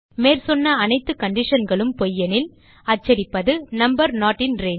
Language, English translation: Tamil, If all of the above conditions are false We print number not in range